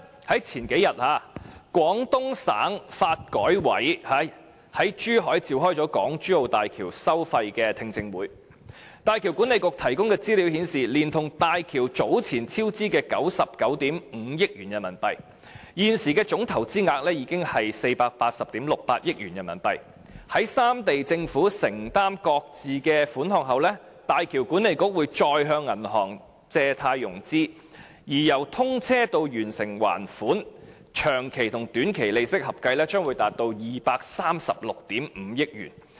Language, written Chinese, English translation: Cantonese, 然而，數天前，廣東省發展和改革委員會在珠海召開港珠澳大橋收費的聽證會，大橋管理局提供的資料顯示，連同大橋早前超支的99億 5,000 萬元人民幣，現時的總投資額達480億 6,800 萬元人民幣，在三地政府承擔各自的款項後，大橋管理局會再向銀行借貸融資，而由通車至完成還款的長期和短期利息合計將達236億 5,000 萬元。, Several days ago the Guangdong Development and Reform Commission held a hearing in Zhuhai on the toll levels for HZMB . The information and materials provided by the HZMB Authority show that including the earlier cost overrun of RMB9.95 billion of HZMB the total investment amount has now reached RMB48.68 billion . After the governments of the three regions have made their contributions the HZMB Authority will raise syndicated bank loans again